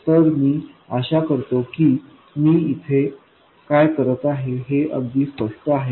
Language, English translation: Marathi, So I hope it's clear what I am doing here